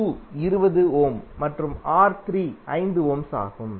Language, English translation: Tamil, R2 is 20 ohm and R3 is 5 ohm